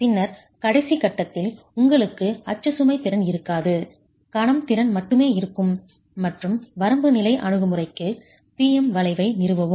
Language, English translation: Tamil, And then with the last stage you will have no axial load capacity, only moment capacity, and establish the PM curve for the limit state approach